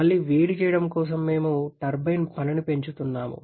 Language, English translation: Telugu, For reheating again, we are having an increasing the turbine work